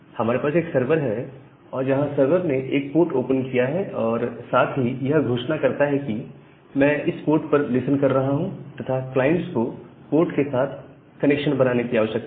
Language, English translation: Hindi, So, we have a server where the idea is that the server has opened a port, announced the port that this particular port I am listening and the client need to make a connection to that particular port